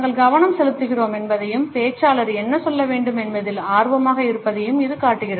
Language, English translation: Tamil, ” It shows that we are paying attention and are interested in what the speaker has to say